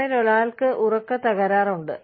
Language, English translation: Malayalam, One of you, have a sleeping disorder